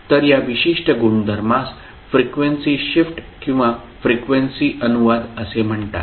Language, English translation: Marathi, So this particular property is called as frequency shift or frequency translation